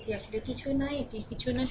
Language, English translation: Bengali, This is nothing actually this is nothing